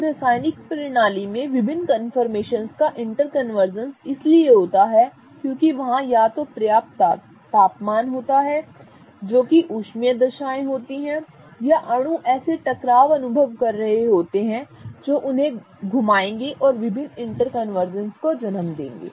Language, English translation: Hindi, Now, in the chemical system the interconversions of various confirmations happen because there is enough either temperature that is the thermal conditions or there are collisions that these molecules are experiencing which will make them rotate and give rise to various interconversions of the state